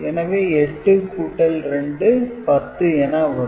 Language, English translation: Tamil, So, 8 plus 2, 10 will be there